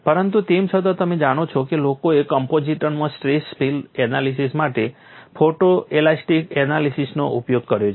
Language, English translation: Gujarati, But nevertheless you know, people have utilized photo elastic analysis for analyzing stress field in composites and that is what am going to show